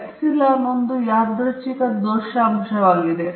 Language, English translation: Kannada, Epsilon i is the random error component